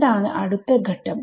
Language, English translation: Malayalam, What is next step